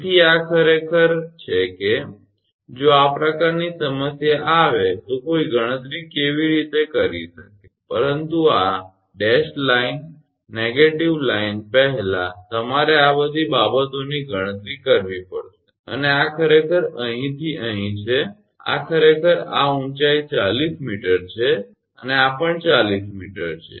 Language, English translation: Gujarati, So, this is actually that how one can calculate if this kind of problem comes, but this dashed line negative line first you have to calculate all these things and this is actually from here to here this is actually this height is actually 40 meter and this is also 40 meter